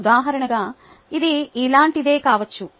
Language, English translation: Telugu, example could be a problem